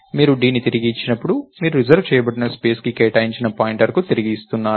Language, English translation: Telugu, And when you return d, you are actually returning a pointer to the reserved space